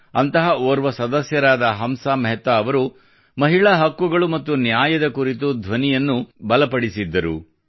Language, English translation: Kannada, One such Member was Hansa Mehta Ji, who raised her voice for the sake of rights and justice to women